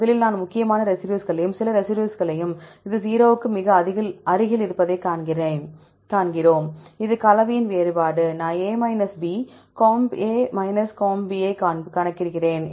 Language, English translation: Tamil, First we see the important residues and some residues this is just close to the 0, this a difference of composition, I calculate the A B, comp comp, right